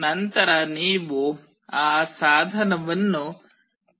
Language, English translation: Kannada, Then you have to select that device